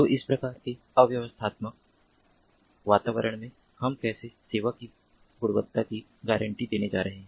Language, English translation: Hindi, so in such kind of chaotic environment, how we are going to offer, deliver quality of service guarantees